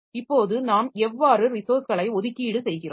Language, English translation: Tamil, Now, how do we allocate the resources